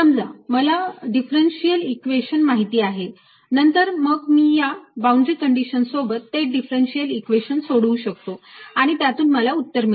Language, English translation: Marathi, then i would solve the differential equation with these boundary conditions and that'll give me the answer